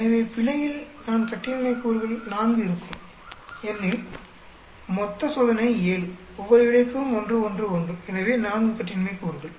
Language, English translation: Tamil, So, the error will have 4 degrees of freedom, because total experiment is 7, each of the effects has 1, 1, 1, so 4 degrees of freedom